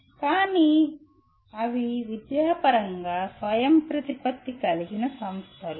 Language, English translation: Telugu, But they are academically autonomous institutions